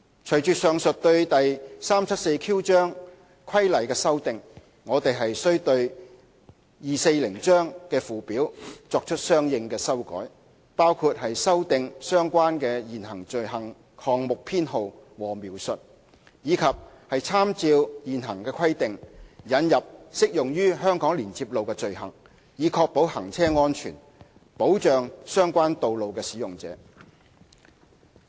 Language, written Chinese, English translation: Cantonese, 隨着上述對第 374Q 章規例的修訂，我們須對第240章的附表作出相應的修改，包括修訂相關的現行罪行項目編號和描述，以及參照現行規定，引入適用於香港連接路的罪行，以確保行車安全，保障相關道路使用者。, In tandem with the aforesaid amendments to Cap . 374Q we need to make consequential amendments to the Schedule to Cap . 240 including amendments to the relevant item numbers and descriptions of existing offences and to introduce appropriate offences in respect of HKLR by reference to existing requirements so as to ensure road safety and protect relevant road users